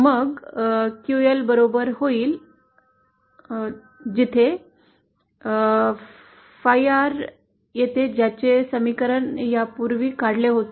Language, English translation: Marathi, Then QL comes out to be equal to this where phi R comes from this equation that we had earlier derived